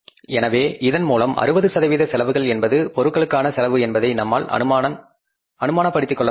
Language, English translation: Tamil, So, it means you can easily assume that this 60% cost is just for the material